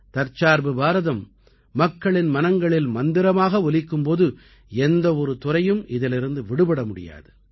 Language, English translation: Tamil, At a time when Atmanirbhar Bharat is becoming a mantra of the people, how can any domain be left untouched by its influence